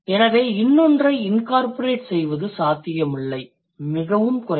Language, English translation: Tamil, So, it's not possible to incorporate another one very like, very unlikely